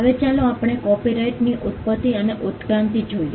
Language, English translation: Gujarati, Now, let us look at the Origin and Evolution of Copyright